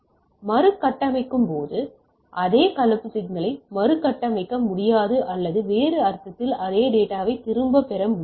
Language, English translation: Tamil, So, when you reconstruct you cannot reconstruct the same composite signal or in other sense you do not get back the same data